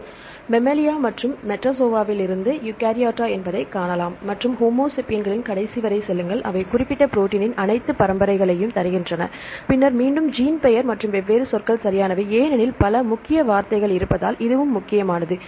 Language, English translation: Tamil, This is the Mammalia and you can see the lineage is Eukaryota, from Metazoa right and go up to the last one that is homo sapiens, they give all the lineage of the particular protein, then again the gene name and the different keywords they give right because it is important because of several keywords